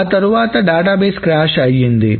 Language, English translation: Telugu, The entire database has crashed